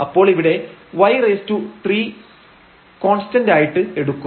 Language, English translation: Malayalam, So, the y cube will be as taken as constant here